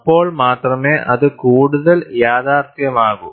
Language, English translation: Malayalam, Only then, it will be more realistic